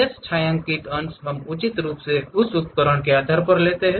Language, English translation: Hindi, Remaining shaded portions we pick appropriately based on that we use those tools